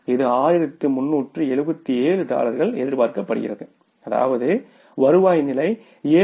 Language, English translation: Tamil, Dollar 1377 contribution was expected which is the revenue level is 7